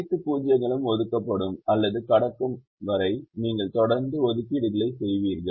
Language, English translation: Tamil, you will continue to make assignments till all the zeros are either assigned or crossed